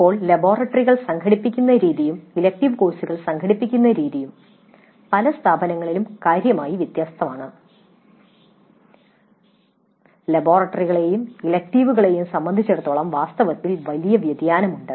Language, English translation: Malayalam, Now the way the laboratories are organized as well as the way the elective courses are organized there is considerable variation across the institutes